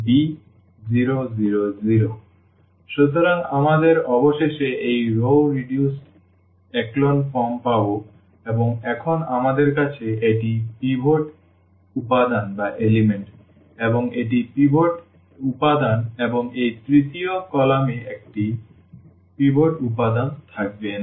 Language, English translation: Bengali, So, we will get finally, this row reduced echelon form and where now we have this is the pivot element and this is the pivot element and this third column will not have a pivot element